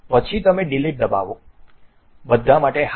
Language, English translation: Gujarati, Then you can press Delete, Yes to All